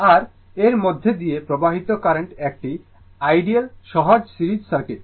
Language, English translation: Bengali, And current flowing through this is ideal simple series circuit right